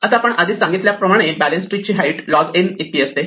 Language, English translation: Marathi, Now, we argued before or we mentioned before that a balanced tree will have height log n